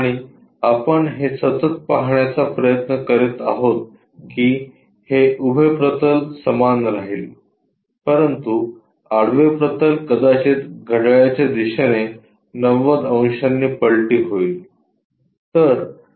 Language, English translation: Marathi, And, what we are trying to look at is all the time this vertical plane remains same, but horizontal plane perhaps flipped by 90 degrees in the clockwise direction